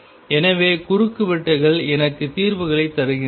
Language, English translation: Tamil, So, intersections give me the solutions